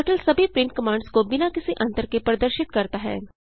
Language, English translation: Hindi, Turtle displays all print commands without any time gap